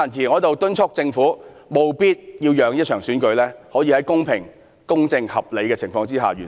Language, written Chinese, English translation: Cantonese, 我在此敦促政府，務必讓這場選舉可以在公平、公正和合理的情況下完成。, Here I urge the Government to ensure that the election can be successfully held in a fair just and reasonable manner